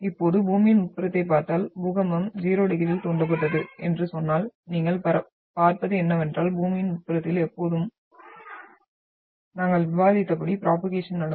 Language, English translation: Tamil, Now if you look at the interior of Earth and if you for example say that the earthquake was triggered at 0 degree then what you will see is that propagation as we have discussed that not always will go through the interior of Earth